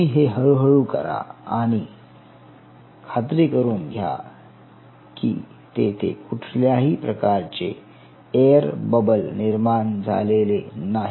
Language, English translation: Marathi, so you slowly, and you have to ensure that there is no air bubble formation